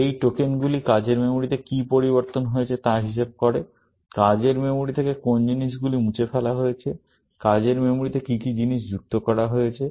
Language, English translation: Bengali, These tokens capture what has changed in the working memory; which things have been removed from the working memory; what things have been added to the working memory